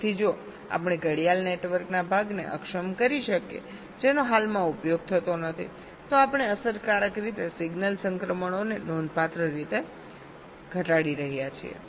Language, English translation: Gujarati, so if we can disable the part of clock network which is not correctly being used, we are effectively reducing the signal transitions quite significantly